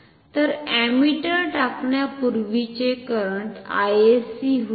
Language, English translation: Marathi, So, the current before insertion of ammeter was I sc